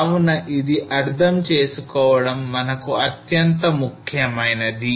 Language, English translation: Telugu, So this is extremely important for us to understand